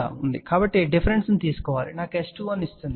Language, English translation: Telugu, So, we have to take the difference that gives me S 21